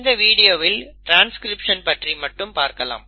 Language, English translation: Tamil, For this video we will stick to transcription